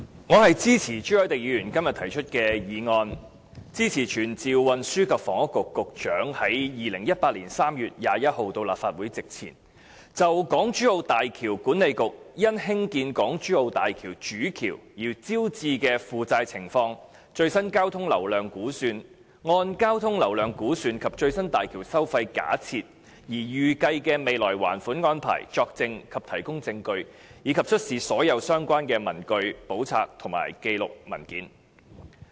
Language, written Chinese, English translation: Cantonese, 我支持朱凱廸議員今天提出的議案，以傳召運輸及房屋局局長於2018年3月21日到立法會席前，就港珠澳大橋管理局因興建港珠澳大橋主橋而招致的負債情況、最新交通流量估算、按交通流量估算及最新大橋收費假設而預計的未來還款安排，作證及提供證據，以及出示所有相關的文據、簿冊、紀錄或文件。, I support the motion proposed by Mr CHU Hoi - dick today that this Council summon the Secretary for Transport and Housing to attend the Council Meeting to be held on 21 March 2018 to testify and give evidence before the Council and to produce all relevant papers books records or documents in relation to the debts incurred by the HZMB Authority for the construction of the Main Bridge of HZMB the latest traffic flow volume estimation and the projected plan of loan repayment based on the traffic flow volume estimation and the latest projection of bridge toll levels . HZMB will be commissioned within this year